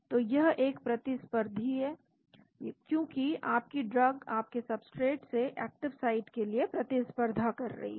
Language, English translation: Hindi, So, this is a competitive because your drug is competing for your active site like your substrate